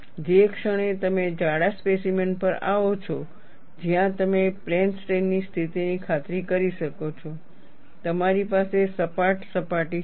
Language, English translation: Gujarati, The moment you come to a thick specimen, where you could ensure plane strain situation, you will have a flat surface